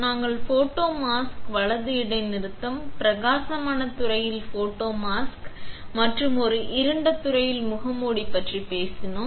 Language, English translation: Tamil, We talked about photomask right pause bright field photomask and a dark field mask